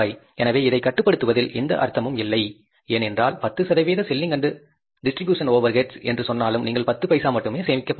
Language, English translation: Tamil, So there's no point controlling this because even if you say 10% of selling a distribution overheads, how much you are going to save